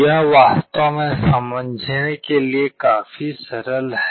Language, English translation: Hindi, This is actually quite simple to understand